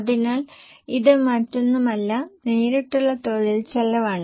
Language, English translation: Malayalam, So, it is nothing but the direct labor cost